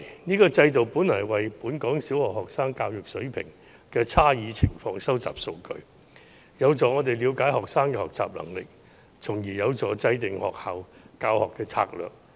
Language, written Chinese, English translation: Cantonese, 這個制度本來是為本港小學生教育水平的差異情況收集數據，有助我們了解學生的學習能力，從而協助制訂教學策略。, The original intent of TSA was to collect data on the differences in the education level of Hong Kong primary students which will help us better understand the learning ability of students thereby formulating teaching strategies